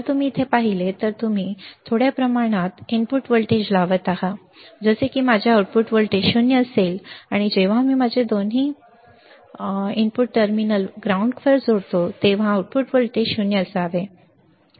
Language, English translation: Marathi, If you see here, we are applying a small amount of input voltage, such that my output voltage will be 0 and when we connect both my input terminals to ground, the output voltage should be 0